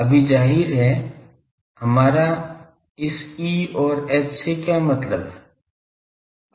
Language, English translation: Hindi, Now; obviously, what do we mean by this E and H